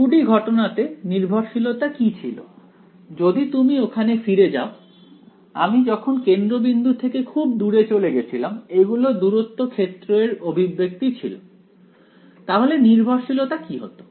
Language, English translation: Bengali, In the 2D case what was the dependence if you go let us go back over here all the way right, as I went far away from the origin these are the far field expressions what is the dependence like